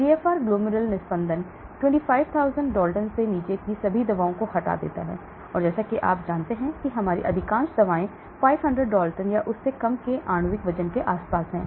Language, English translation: Hindi, The GFR glomerular filtration removes all drugs below 25,000 and as you know most of our drugs are around molecular weight of 500 dalton or less